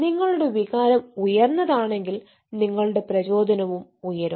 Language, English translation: Malayalam, if your emotion is high, then your motivation will go up